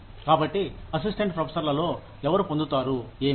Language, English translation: Telugu, So, within assistant professors, who gets, what